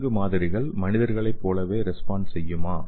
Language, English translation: Tamil, And do animal subjects respond similar to humans, okay